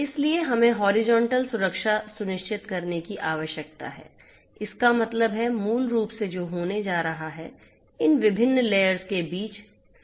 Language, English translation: Hindi, So, we need to ensure horizontal security; that means, you know so basically what is going to happen is communication between these different layers are going to happen